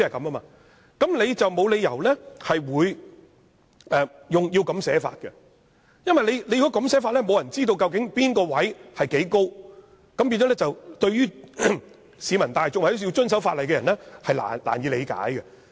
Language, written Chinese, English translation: Cantonese, 那麼便沒有理由這樣草擬條文，因為這樣寫的話，便沒有人知道究竟實際的高度，令市民大眾或要遵守法例的人難以理解。, But why the provision has to be drafted in this way? . As the provision does not set out the actual height restriction the public or people who wish to observe this ordinance are uncertain how to follow the restriction